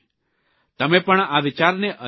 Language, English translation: Gujarati, You too can try out this idea